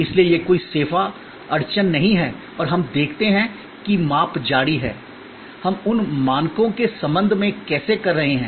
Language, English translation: Hindi, So, that is no service bottleneck and we see continues the measure, how we are doing with respect to those standards